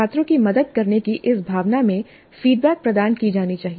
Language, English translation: Hindi, And feedback must be provided in this spirit of helping the students